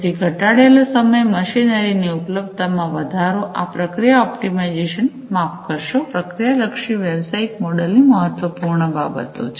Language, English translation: Gujarati, So, reduced down time, increased machinery availability, these are important considerations in the process optimization sorry in the process oriented business model